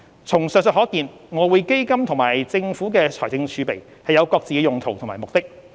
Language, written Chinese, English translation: Cantonese, 從上述可見，外匯基金與政府財政儲備有各自的用途及目的。, In light of the above EF and the fiscal reserves have different uses and serve different purposes